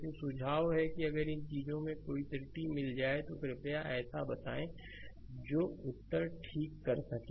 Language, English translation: Hindi, But, I suggest, if you find any error of these things, you please let me know such that, I can rectify answer right